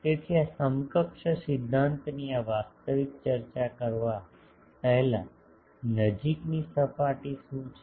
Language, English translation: Gujarati, So, also before going to this actual discussion of this equivalence principle also what is the close surface